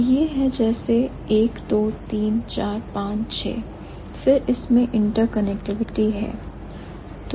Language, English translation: Hindi, So, it's like 1, 2, 3, 4, 5, 6, then there are interconnectivity also